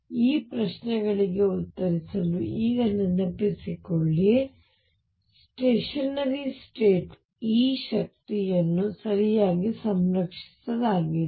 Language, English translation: Kannada, Recall now to answer this questions that for stationary states E the energy is conserved right